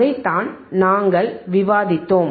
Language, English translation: Tamil, tThat is what we discussed